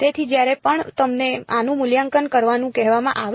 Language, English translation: Gujarati, So, whenever you are asked to evaluate this